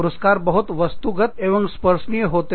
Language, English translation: Hindi, Rewards can be, very, very objective, very tangible